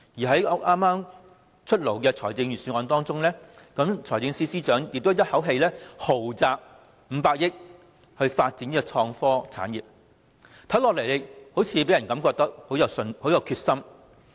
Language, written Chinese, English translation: Cantonese, 在剛出台的財政預算案中，財政司司長亦一口氣"豪擲 "500 億元發展創科產業，令人感覺他非常有決心。, In the newly - announced Budget the Financial Secretary also proposed a lavish spending of 50 billion for developing IT industries to show his determination